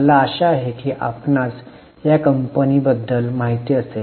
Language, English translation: Marathi, I hope you know about this company